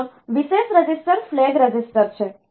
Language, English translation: Gujarati, Another special register is the flag register